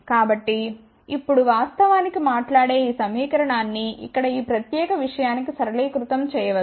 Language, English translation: Telugu, So now, this equation actually speaking can be simplified to this particular thing over here